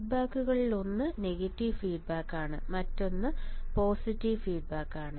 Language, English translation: Malayalam, So, one of the feedback is negative feedback another feedback is positive feedback